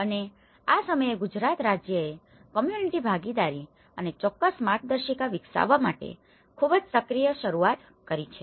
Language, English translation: Gujarati, And this is a time Gujarat state has actually taken a very active initiative of the community participation and as well as developing certain guidelines